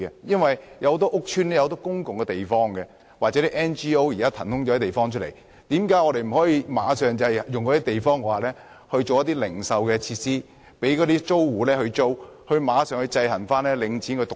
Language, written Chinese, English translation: Cantonese, 其實，很多屋邨有很多公共地方，或是 NGO 騰空的地方，為何我們不立刻在這些地方提供零售設施，以供租戶租用，制衡領展獨大？, Actually there are many public spaces or spaces left idle by NGOs in public housing estates why can we not provide retail facilities right away at these places for rental in an attempt to counter Link REITs monopoly?